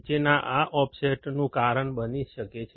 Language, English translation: Gujarati, The following can cause this offset